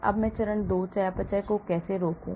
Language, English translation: Hindi, Now, how do I prevent phase 2 metabolism